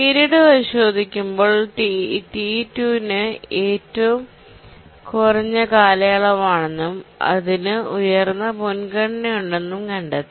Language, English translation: Malayalam, So we look through the period and find that T2 has the lowest period and that has the highest priority